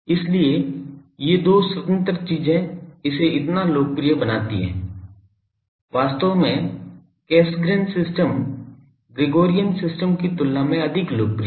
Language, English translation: Hindi, So, these two independent things makes it so popular, actually Cassegrain systems are more popular compared to the Gregorian systems